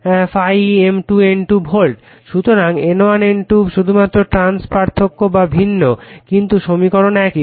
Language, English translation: Bengali, So, N1 N2 only trance difference or different, but equations are same right